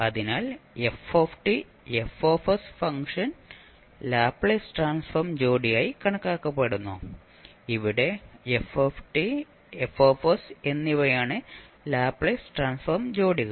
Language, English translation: Malayalam, So, what we can say the function ft and fs are regarded as the Laplace transform pair where ft and fs are the Laplace transform pairs